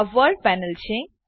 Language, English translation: Gujarati, This is the World panel